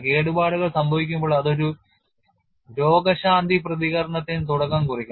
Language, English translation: Malayalam, In nature, damage to an organism initiates a healing response